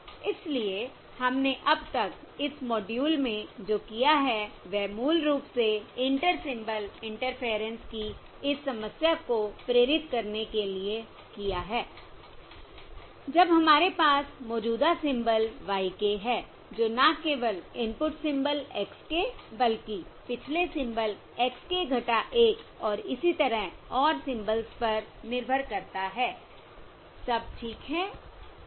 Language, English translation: Hindi, So what we have, what we have done in this module so far, is to basically motivate this problem of Inter Symbol Interference when we have the current symbol y k, depending not only on the um input symbol x k, but also the past symbols x k minus 1 and so on